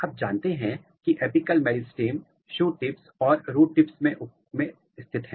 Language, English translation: Hindi, You know that the apical meristems are positioned in the shoot tips and the root tips